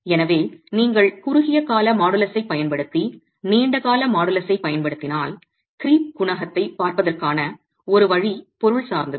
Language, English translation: Tamil, So if you were to use the short term modulus and arrive at the long term modulus one way is to look at the creep coefficient that is material specific